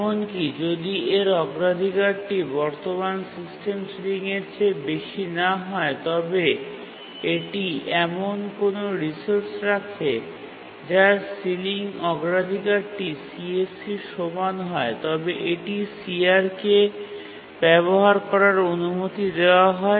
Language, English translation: Bengali, But even if its priority is not greater than the current system sealing, but then if it is holding any resource whose ceiling priority is equal to the CSE, then also it is granted access to CR